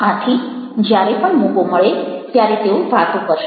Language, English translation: Gujarati, so whenever they get chance they will talk